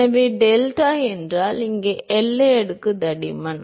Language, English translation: Tamil, So, if delta is the boundary layer thickness here